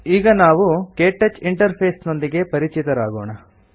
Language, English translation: Kannada, Now, lets familiarize ourselves with the KTouch interface